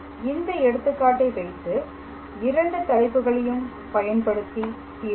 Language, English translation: Tamil, So, we will try to solve the examples on both of these two topics